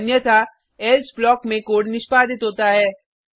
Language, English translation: Hindi, Otherwise, the code within else block is executed